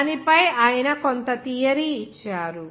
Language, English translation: Telugu, He has given some theory on that